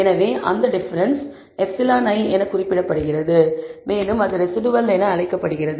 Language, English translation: Tamil, So, that difference is designated as e i, and it is called the residual